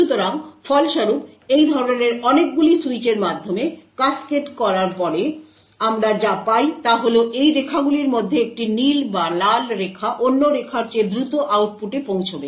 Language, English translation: Bengali, So, as a result, after cascading through a number of such switches what we get is that one of these lines either the blue or the Red Line would reach the output faster than the other line